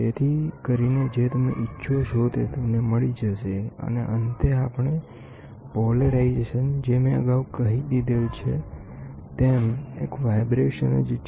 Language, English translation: Gujarati, So, that you get whatever you want and the last one is polarisation, which I said last time also it is the vibration